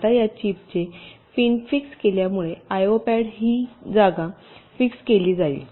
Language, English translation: Marathi, now, because the pins of this chip will be fixed, the location of the i o pads will also be fixed